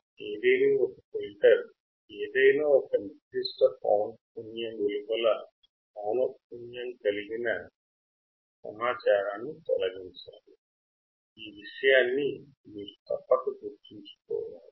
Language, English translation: Telugu, Ideally filter should eliminate all data at frequencies outside the specific frequency